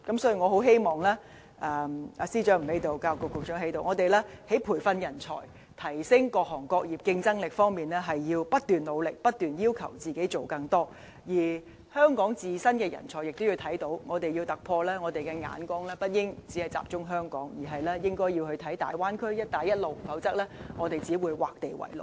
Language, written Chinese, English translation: Cantonese, 所以，雖然司長不在席，但教育局局長在席，我希望我們在培訓人才和提升各行業競爭力方面，要不斷努力，不斷要求自己做更多，而香港自身的人才亦要看到，我們若要突破，眼光不應只集中在香港，而應該看大灣區和"一帶一路"，否則我們只會劃地為牢。, Therefore though the Financial Secretary is not present at this moment the Secretary for Education is in the Chamber . I hope the Government can keep devoting efforts on manpower training and enhancing the competitiveness of our industries while continuously encouraging improvements in our own capability . On the other hand Hong Kong people should realize that we must look beyond Hong Kong in search of a breakthrough and should instead set our sights on the Big Bay Area and One Belt One Road lest we will be confined by our own boundary